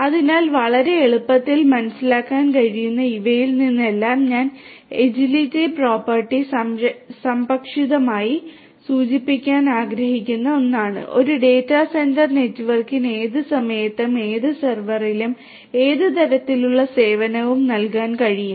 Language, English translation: Malayalam, So, out of all of these which are pretty much easily understood agility is something that I would like to briefly mention agility property means that a data centre networks should be able to provide any kind of service on any server at any time